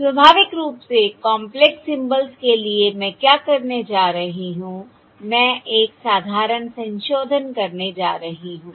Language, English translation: Hindi, So, naturally, for complex symbols, what Im going to do is Im going to do a simple modification